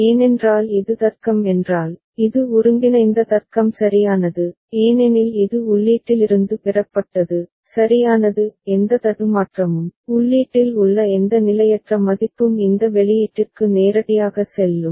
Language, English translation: Tamil, Because if such is the logic, such is the combinatorial logic right because it is derived from input also right; any glitch, any transient value in the input will go directly to this output ok